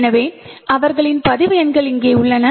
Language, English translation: Tamil, So, their roll numbers are present here